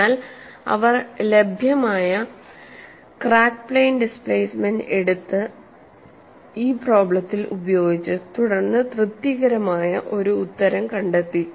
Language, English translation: Malayalam, They have to look at the crack plane displacement, so they simply took the crack plane displacement that was available, put it into this problem, and then found an answer which was satisfying